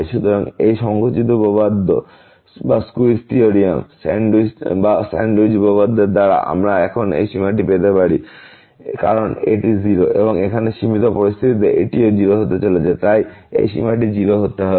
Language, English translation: Bengali, So, by this squeeze theorem or sandwich theorem, we can get now the limit this as because this is 0 and here also in the limiting scenario this is also going to 0 so, this limit has to be 0